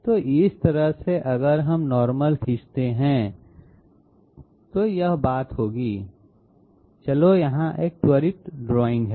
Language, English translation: Hindi, So this way if we if we draw the normal, this will be the point, let s have a quick drawing here